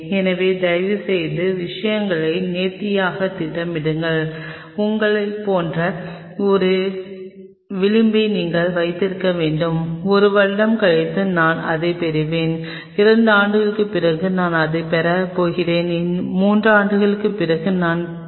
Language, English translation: Tamil, So, please plan things plan things neatly and you should have a margin like you know after one year I will be getting this, after two years I am going to getting this after three years I am going to